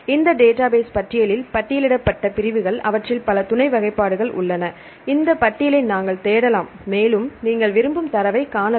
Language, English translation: Tamil, So, for each category for each categories listed in this database listing, they have several sub classifications we can search this listing and you can find the data what you want